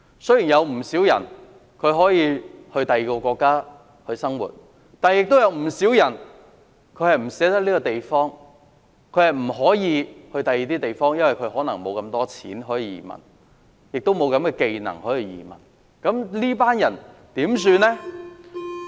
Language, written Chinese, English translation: Cantonese, 雖然有不少人可以移居外國生活，但亦有不少人不捨得這個地方，或者不能移居到其他地方，因為沒有足夠的錢，亦沒有移民要求的技能。, While many people are able to migrate overseas many others are either reluctant to leave or unable to migrate elsewhere due to lack of means and skills necessary for migration